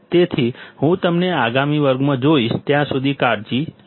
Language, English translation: Gujarati, So, I will see you in the next class; till then you take care